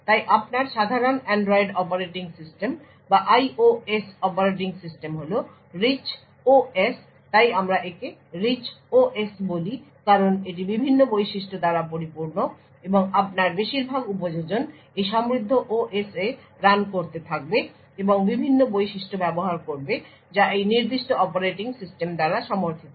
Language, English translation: Bengali, So your typical Android operating system or the IOS operating system is the Rich OS so we call this the Rich OS because it is filled with various features and most of your applications would be running in this rich OS and making use of the various features that are supported by that particular operating system